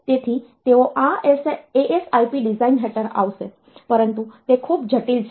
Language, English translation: Gujarati, So, they will come under this ASIP design, but those are very complex